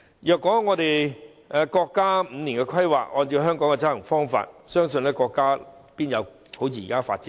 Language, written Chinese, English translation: Cantonese, 如果國家的五年規劃也按照香港的執行方法，國家不可能好像現時般發展迅速。, If the five - year plans of our country were executed in a similar way as that of Hong Kong our country would not have developed as rapidly as it is today